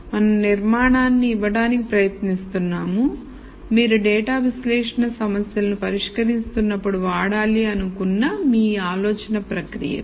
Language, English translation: Telugu, We are trying to give structure to your thought process when you solve data analysis problems